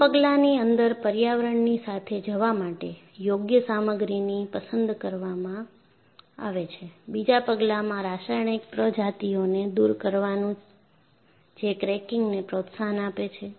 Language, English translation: Gujarati, So, the first step is, select an appropriate material to go with the environment; and the second step is, remove the chemical species that promotes cracking